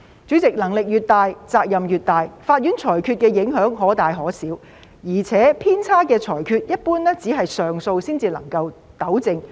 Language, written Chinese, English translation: Cantonese, 主席，能力越大，責任越大，法院裁決的影響可大可小，而且偏差的裁決一般只是透過上訴才能糾正。, President with great powers comes great responsibility . Court judgments may cause a significant impact and generally erred judgments can be rectified only by way of appeal